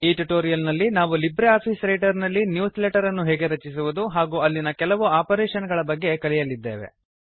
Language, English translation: Kannada, In this tutorial we will learn how to create newsletters in LibreOffice Writer and a few operations that can be performed on them